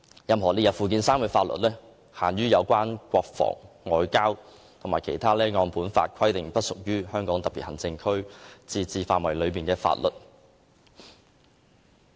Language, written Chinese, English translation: Cantonese, 任何列入附件三的法律，只限於有關國防、外交和其他按《基本法》規定不屬於香港特別行政區自治範圍的法律。, Laws listed in Annex III shall be confined to those relating to defence and foreign affairs as well as other matters outside the limits of the autonomy of HKSAR as specified by the Basic Law